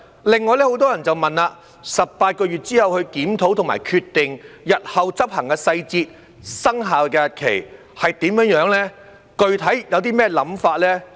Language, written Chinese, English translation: Cantonese, 此外，很多人問到18個月後去檢討及決定，日後執行的細節、生效日期是怎樣、具體有何看法等。, Moreover many people have asked about the review and decision to be made after the 18 - month period the implementation details in the future the commencement date and specific views and so on